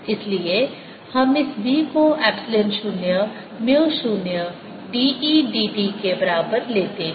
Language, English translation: Hindi, so we take this v to be equal to epsilon zero, mu, zero d e, d t